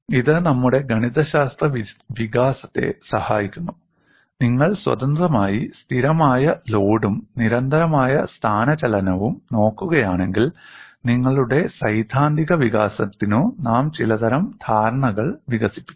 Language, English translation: Malayalam, It helps in our mathematical development, if you look at independently constant load and constant displacement, we would develop certain kind of understanding in your theoretical development